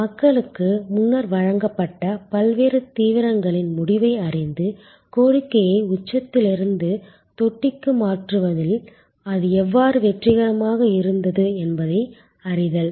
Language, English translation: Tamil, Knowing the result of different intensive that have been provided people before and how it was successful in shifting demand from peak to trough